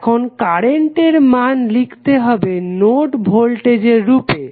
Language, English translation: Bengali, You have to write the values of currents in terms of node voltages